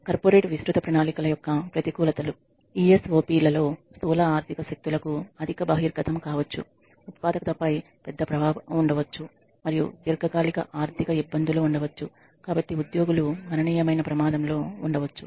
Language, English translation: Telugu, The disadvantages of corporate wide plans are employees may be at a considerable risk as in ESOPs there could be a high exposure to macroeconomic forces, there could be a large effect on productivity and there could be long rain long run financial difficulties